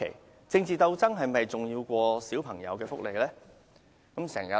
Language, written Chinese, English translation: Cantonese, 試問政治鬥爭是否較小朋友的福利重要？, Is the political struggle of greater significance than childrens welfare?